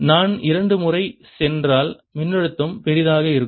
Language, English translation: Tamil, if i go twice the potential will be larger